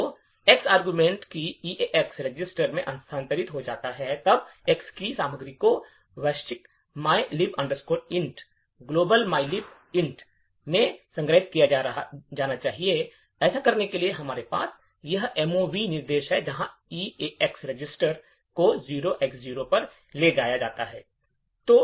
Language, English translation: Hindi, So, the argument X’s move to the EAX register then the contents of X should be stored into the global mylib int, in order to do this, we have this mov instruction where EAX register is moved to 0X0